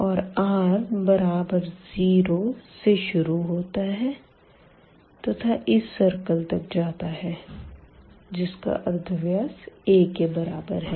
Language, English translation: Hindi, And r is varying from 0, it is starts from 0 up to this circle here which is r is equal to a